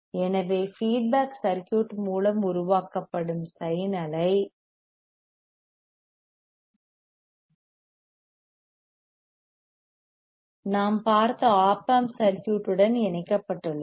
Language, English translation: Tamil, So, sine wave generated by the feedback circuit is coupled with the Op amp circuit we can which we have seen that